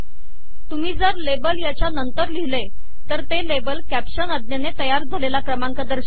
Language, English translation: Marathi, If you put the label after this, this label will refer to the number created using the caption command